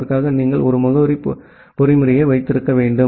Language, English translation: Tamil, And for that you need to have one addressing mechanism